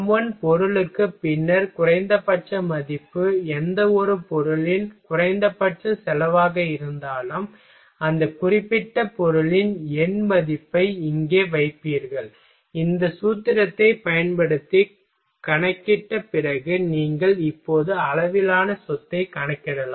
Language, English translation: Tamil, for m1 material then minimum value in the least whatever the minimum cost for any material, you will put here then numerical value of that particular material and after from calculating using this formula, you can calculate the scale property now